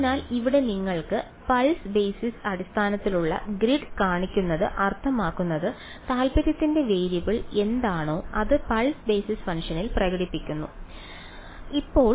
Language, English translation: Malayalam, So, having shown you the grid over here pulse basis means whatever is the variable of interest is expressed in the pulse basis function